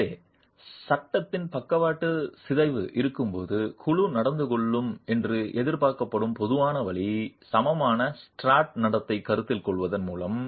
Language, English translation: Tamil, So, the general way in which the panel is expected to behave when there is a lateral deformation of the frame is by the consideration of an equal and struct behavior